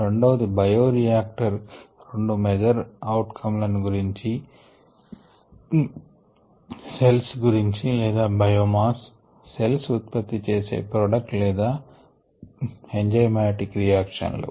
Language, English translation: Telugu, the second one looked at two major out comes from a bioreactor: the cells themselves, or what i known as biomass, or the products made by the cells, or through enzymatic reactions